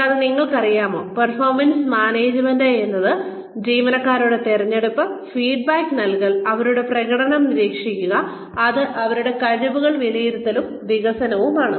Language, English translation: Malayalam, And, they said that, it is you know, performance management is a function of, selection of the employees, of giving feedback, of monitoring their performance, which is appraisal and development of their skills